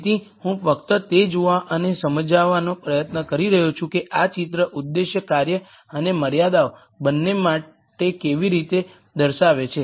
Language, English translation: Gujarati, So, I am just trying to see and explain how this picture speaks to both the objective function and the constraints